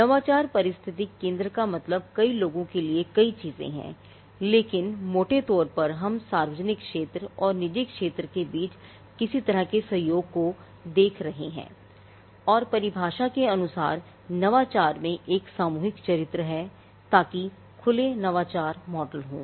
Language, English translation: Hindi, Now, innovation ecosystem means many things to many people, but largely we are looking at some kind of a cooperation between the public sector and the private sector and innovation by definition has a collective character so, that there are open innovation models